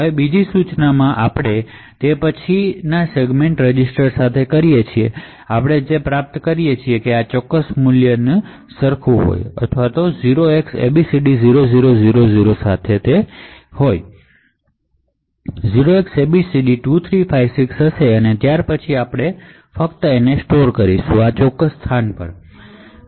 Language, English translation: Gujarati, Now in the second instruction we then or it with the segment register so what we achieve is r30 equal to this particular value and or it with 0xabcd0000 so this would be 0xabcd2356 and then we simply store or jump to that particular to this particular location